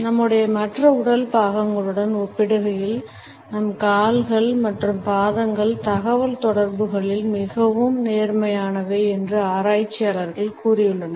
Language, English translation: Tamil, Researchers have told us that our legs and feet are more honest in communication in comparison to other body parts of us